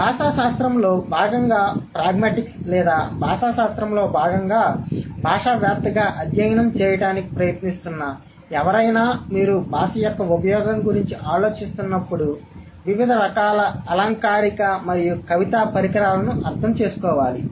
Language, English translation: Telugu, And somebody who is trying to study pragmatics as a linguistic discipline or as a linguist as a part of linguistics would have to go through the understanding of different kind of rhetorical and poetical devices when you are thinking about the use of the language